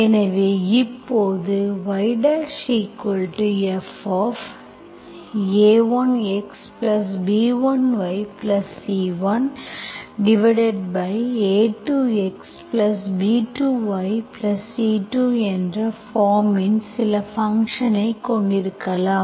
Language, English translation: Tamil, So we can now, we can have some function of that form A1 x plus B1 y plus C1 divided by A2 x plus B1, B2 y plus C2